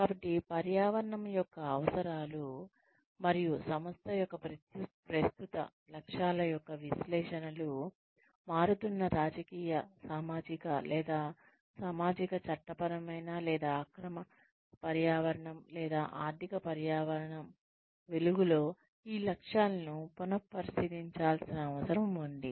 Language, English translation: Telugu, So, the requirements of the environment, and the analysis of the objectives, of the current objectives of the organization, in light of the changing, sociopolitical, or socio legal, or the illegal environment, or economic environment, these objectives need to be revisited